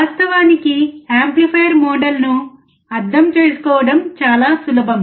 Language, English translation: Telugu, Very easy to actually understand the amplifier model